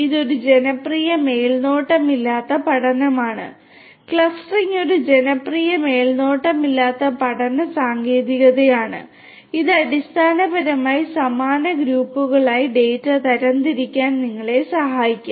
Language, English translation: Malayalam, This is one popular unsupervised learning; clustering is a popular unsupervised learning technique and this basically will help you to classify the data into similar groups